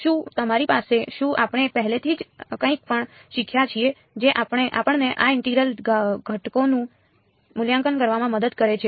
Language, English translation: Gujarati, Do we have; have we learned anything already which helps us to evaluate these integrals